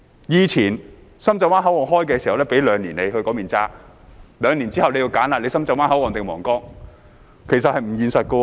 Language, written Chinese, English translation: Cantonese, 以前深圳灣口岸通關時，批准他在那裏過境兩年，兩年後便要選擇深圳灣口岸或皇崗，其實這是不現實的。, In the past when the Shenzhen Bay Port was commissioned he was given a two - year permission to cross the boundary via that crossing but he had to choose between the Shenzhen Bay Port and Huanggang two years later which was frankly divorced from reality